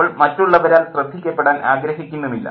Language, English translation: Malayalam, She doesn't want to be noticed